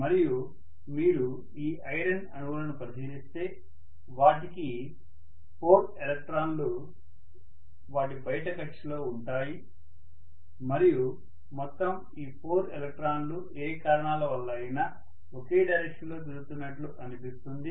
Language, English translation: Telugu, And if you look at these iron atoms, they have 4 electrons in their outermost orbit and all the 4 electrons seem to spin along the same direction for whatever reasons